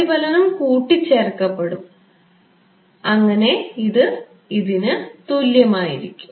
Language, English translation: Malayalam, The reflection will get added and it will be equal to this